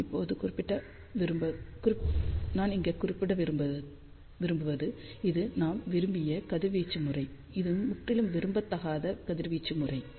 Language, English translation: Tamil, I just want to mention over here, this was the desired radiation pattern this is totally undesired radiation pattern